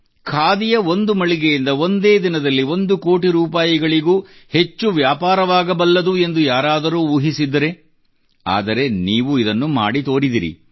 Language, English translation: Kannada, Could anyone even think that in any Khadi store, the sales figure would cross one crore rupees…But you have made that possible too